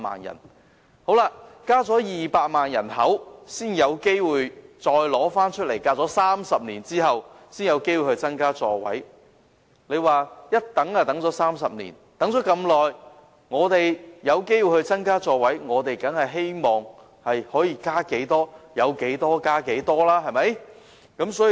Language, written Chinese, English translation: Cantonese, 人口增加了200萬，時隔30年才有機會再次增加小巴座位。我們等了30年這麼長的時間才有機會增加座位，當然希望能增加多少便增加多少。, Now that our population has increased by some 2 million and we have waited some 30 years before having the opportunity to increase the seating capacity of light buses again we certainly hope that the maximum number of seats can be increased